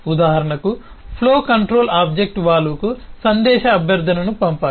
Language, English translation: Telugu, for example, the flow controller has to send a message request to the object valve